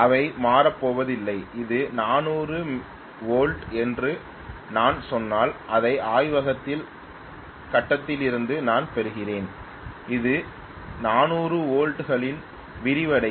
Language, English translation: Tamil, They are not going to change, if I say that it is a 400 volts what I am getting in my laboratory from the grid it will be remain enlarge at 400 volts